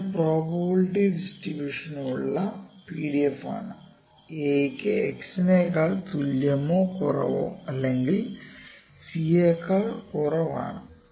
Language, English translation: Malayalam, So, this is the PDF for probability distribution, this is for a is less than equal to x is less then c, ok